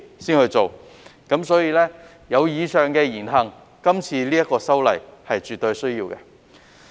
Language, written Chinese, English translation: Cantonese, 基於那些議員以上言行，這次修例絕對有需要。, In view of the aforesaid words and deeds of those Members this legislative amendment is absolutely necessary